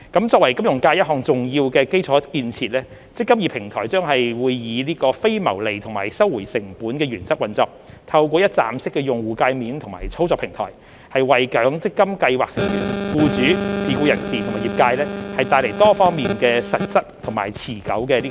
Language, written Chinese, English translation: Cantonese, 作為金融界一項重要的基礎建設，"積金易"平台將以非牟利及收回成本的原則運作，透過"一站式"的用戶介面及操作平台，為強積金計劃成員、僱主、自僱人士及業界帶來多方面實質及持久的裨益。, As an important infrastructure for the financial sector the eMPF Platform will operate under the principles of cost - recovery and non - profit - making . It will be a one - stop user interface and operation platform which brings tangible and sustainable benefits to MPF scheme members employers self - employed persons and the industry in various aspects